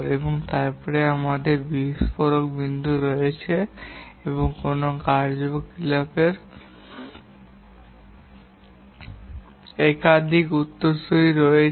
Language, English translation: Bengali, And then we have this burst point where a task or activity has multiple successors